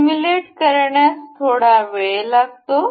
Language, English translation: Marathi, It takes time to simulate